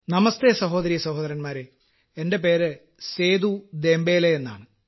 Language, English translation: Malayalam, "Namaste, brothers and sisters, my name is Seedu Dembele